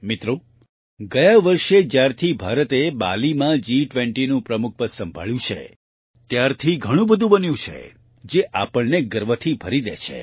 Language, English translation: Gujarati, Friends, since India took over the presidency of the G20 in Bali last year, so much has happened that it fills us with pride